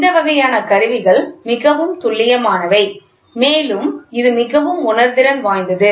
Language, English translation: Tamil, These types of instruments are highly accurate and also it is very sensitive